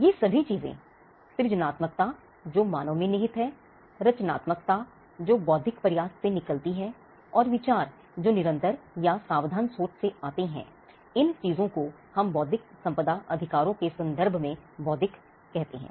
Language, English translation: Hindi, Now, all these things creativeness, that is inherent in human beings, creativity that comes out of an intellectual effort, and idea that comes from constant thinking or careful thinking; these things is what we referred to as intellectual in the context of intellectual property rights